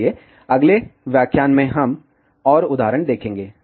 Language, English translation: Hindi, So, in the next lecture, we will see more examples